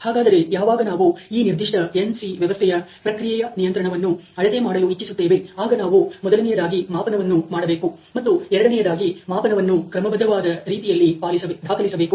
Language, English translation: Kannada, So, when we want to measure what is the process control at this particular nc system, we would need to do measurements number one, and number two is record the measurements in an organized way, so that you can have some kind of a frequency distribution